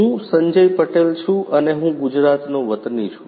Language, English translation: Gujarati, I am Sanjay Patel from Gujrat